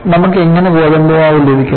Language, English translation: Malayalam, How do you get the wheat flour